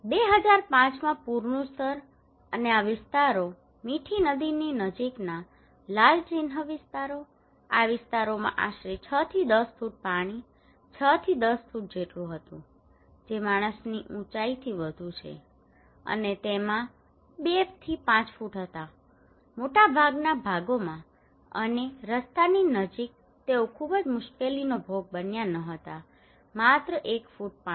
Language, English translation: Gujarati, The flood level in 2005 and these areas, the red mark areas close to the Mithi river, these areas were around six to ten feet of water, six to ten feet that is more than a human height okay and also they had two to five feet in most of the parts and close to the road they were not much suffered, only one feet of water